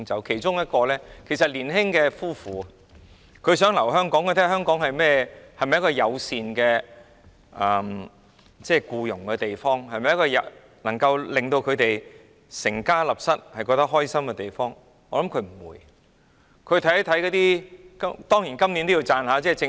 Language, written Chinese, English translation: Cantonese, 其中我提到一對年輕夫婦，他們想留在香港，看看香港是否一個僱傭友善的地方，是否一個可以讓他們安心成家立室的地方，我覺得他們不會留下來。, I mentioned a young couple . They wish to stay but it all depends on whether Hong Kong is an employment - friendly place and whether it offers an environment conducive to a wholesome family life . I do not think they will stay